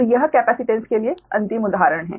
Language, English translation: Hindi, so this is the last example for capacitance one